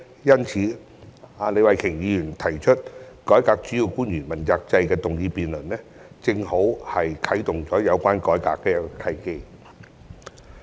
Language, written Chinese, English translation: Cantonese, 因此，李慧琼議員提出"改革主要官員問責制"的議案進行辯論，正好是啟動有關改革的一個契機。, Therefore the debate of Ms Starry LEEs motion on Reforming the accountability system for principal officials is an opportunity to kick - start the reform